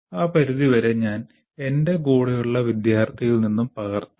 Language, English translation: Malayalam, So to that extent I will just copy from my neighboring student